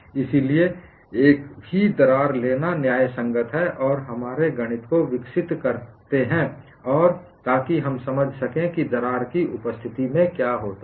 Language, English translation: Hindi, So, we are justified in taking a single crack and develop our mathematics so that we understand what happens in the presence of a crack